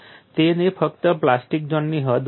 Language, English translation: Gujarati, He had only got the extent of plastic zone